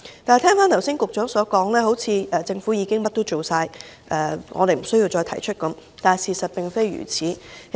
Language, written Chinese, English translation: Cantonese, 但我聽局長剛才的說法，好像是說政府已做了所有事，我們不需要再提出意見，然而，事實並非如此。, However the remarks made by the Secretary just now seem to suggest that the Government has already done everything possible and there is no need for us to offer further suggestions . As a matter of fact it is not true